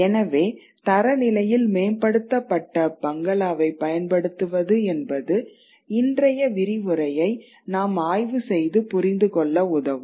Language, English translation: Tamil, So this concept of the standard Bangla is something that we will have to explore to be able to understand today's lecture